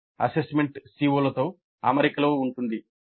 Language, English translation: Telugu, That means assessment is in alignment with the COs